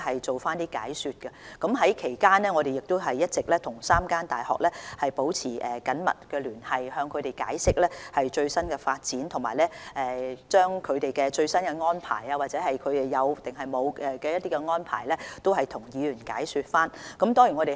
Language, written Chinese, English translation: Cantonese, 在此期間，我們一直與3間大學保持緊密聯繫，向他們解釋最新的發展情況，以及了解大學是否有任何新安排，並向議員解說它們的最新安排。, In the meantime we have been maintaining close contact with the three universities to explain to them the latest development and to see if the universities have any new arrangements after which we would explain to Members the universities latest arrangements